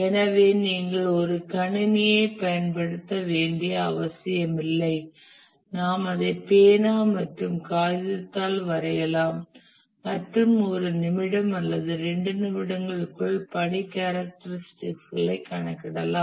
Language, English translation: Tamil, And for small task networks, we don't even have to use a computer, we can just draw it by pen and paper and within a minute or two we can compute the task characteristics